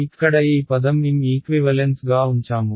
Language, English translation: Telugu, This term over here I have put into M equivalent ok